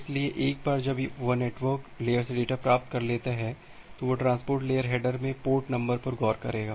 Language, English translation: Hindi, So, once it has receive the data from the network layer, it will look into the port number in the transport layer header